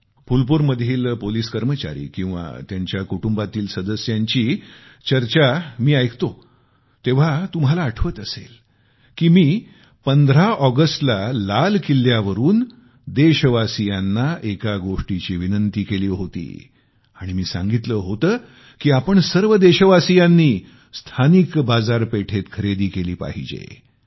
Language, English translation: Marathi, Whenever I hear about the police personnel of Phulpur or their families, you will also recollect, that I had urged from the ramparts of Red Fort on the 15th of August, requesting the countrymen to buy local produce preferably